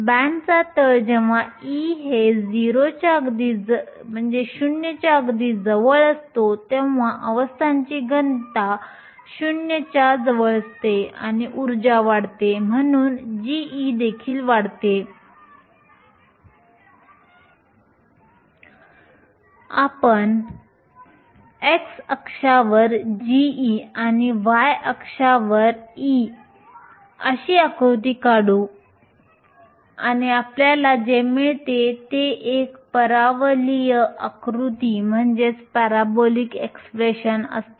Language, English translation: Marathi, The bottom of the band when e is very close to 0 the density of states is close to 0 and as the energy increases g of e also increases, we can plot g of e on the x axis and e on the y axis and what we get is a parabolic expression